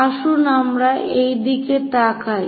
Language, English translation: Bengali, Let us look at this